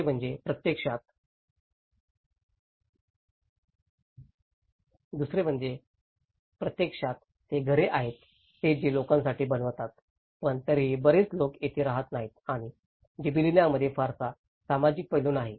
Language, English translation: Marathi, The second one is actually, is it is the houses which they are made for the people but still not many people are living here and not much of social aspect is there in Gibellina